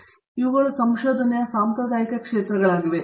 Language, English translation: Kannada, So, these are the traditional areas of research